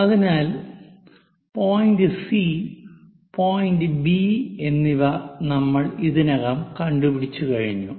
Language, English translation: Malayalam, This is point C and this is point B it can be extended all the way